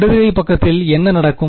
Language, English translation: Tamil, So, what will the right hand side become